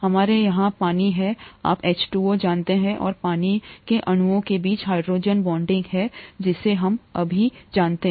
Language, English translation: Hindi, We have water here, you know H2O and there is hydrogen bonding between water molecules that we know now